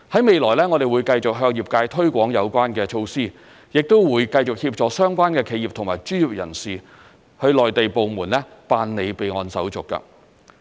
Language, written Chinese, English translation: Cantonese, 未來，我們會繼續向業界推廣有關措施，亦會繼續協助相關企業和專業人士向內地部門辦理備案手續。, We will continue to promote related measures to the industry and assist relevant corporations and professionals in registration with Mainland departments in the near future